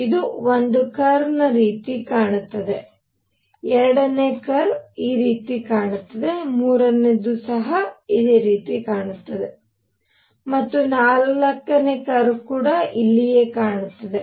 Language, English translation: Kannada, So, for example one curve looks like this, the second curve looks like this, third curve looks like this and the fourth curve looks like right here